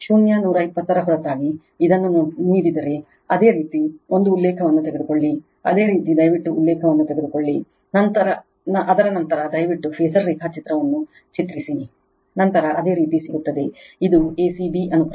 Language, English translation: Kannada, This is whenever apart from zero 120 if it is given like this, you take a reference you take a reference, after that you please draw the phasor diagram, then you will get it this is a c b sequence